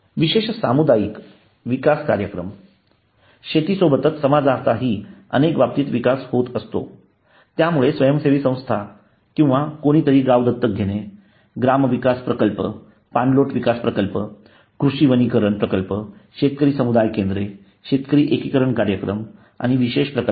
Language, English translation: Marathi, the special community development program along with agriculture the communities also develop in many cases so the village adoption by NGO or somebody the gram Vikas project the watershed development project farm forestry projects farmers community centers farmer integration program and the special projects